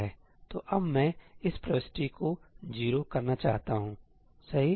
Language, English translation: Hindi, So, now, I want to make this entry 0, right